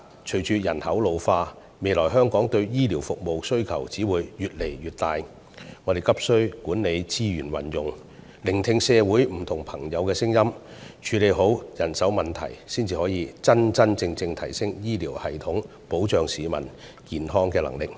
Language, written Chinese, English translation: Cantonese, 隨着人口老化，香港未來對醫療服務的需求只會越來越大，我們急需管理資源的運用，聆聽社會上不同的聲音，處理好人手問題，這樣，我們才能真真正正提升醫療系統保障市民健康的能力。, With an ageing population there will only be a growing demand for healthcare services in Hong Kong in the future . We have a pressing need to manage the use of our resources listen to different views in society and address the manpower problem properly . Only by doing so can we virtually enhance the healthcare systems ability to protect the health of the public